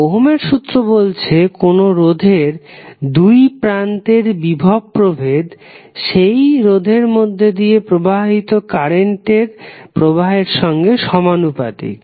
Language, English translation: Bengali, Ohm’s law says that, the voltage V across a particular resistor is directly proportional to the current I, which is flowing through that resistor